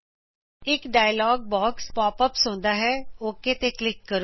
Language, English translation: Punjabi, A dialog box pops up, lets click OK